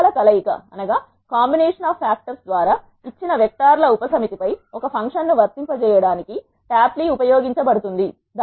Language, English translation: Telugu, tapply is used to apply a function over a subset of vectors given by combination of factors